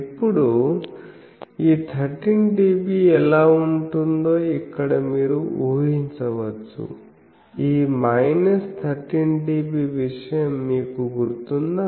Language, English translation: Telugu, Now, you can here you can assume how this 13 dB; do you remember this minus 13 dB thing